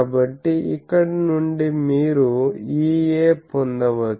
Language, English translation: Telugu, So, from here you can get E A